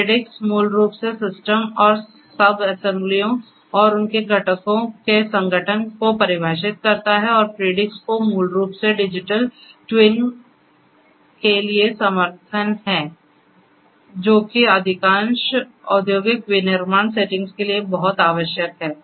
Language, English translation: Hindi, Predix basically defines the organization of the system and subassemblies and their components and also Predix basically has the support for Digital Twin which is very essential for most of the industrial manufacturing settings